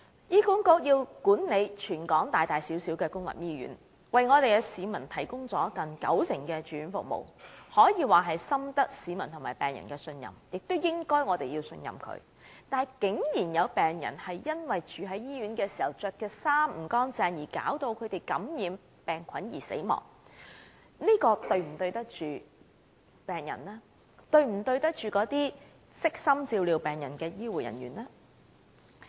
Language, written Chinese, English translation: Cantonese, 醫管局管理全港大大小小的公立醫院，為市民提供接近九成的住院服務，可以說深得市民和病人的信任，我們也應該要信任他們，但竟有病人在住院期間因穿着不潔病人服而受感染死亡，這是否對得起病人和悉心照料病人的醫護人員呢？, HA is responsible for managing public hospitals both big and small across the territory and provide nearly 90 % of hospital care for the public . HA can be said to be highly trusted by the public and patients and it should deserve our trust too . However some patients were infected and died when they were hospitalized due to wearing unclean clothing for patients